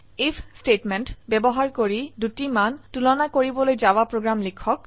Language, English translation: Assamese, * Write a java program to compare two values using if statement